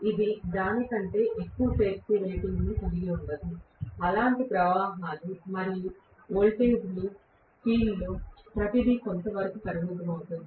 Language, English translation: Telugu, It will not have a power rating more than that, which means the currents and the voltages; everything will be somewhat limited in the field